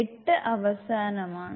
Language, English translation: Malayalam, And eight is the end